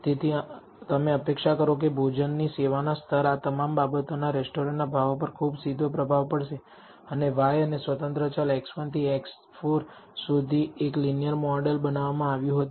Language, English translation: Gujarati, So, you would expect that the quality of the food the service level all of this would have a very direct influence on the price in the restaurant and a linear model was built between y and the independent variables x 1 to x 4